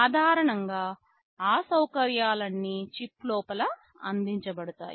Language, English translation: Telugu, Typically all those facilities are provided inside the chip